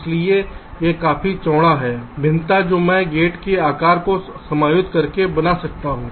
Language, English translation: Hindi, so it is quite a wide variation that i can make by adjusting the size of the gate